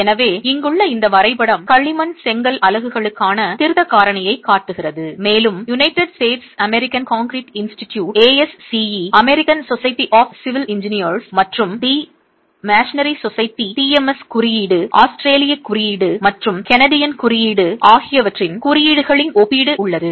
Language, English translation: Tamil, So, this graph here shows you the correction factor for clay brick units and there is a comparison of the codes from the United States, American Concrete Institute, the AAC American Society of Civil Engineers and the Masonry Society, TMS Code, the Australian Code and the Canadian Code